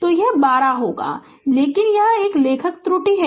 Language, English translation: Hindi, So, it will be 12 it is a writing error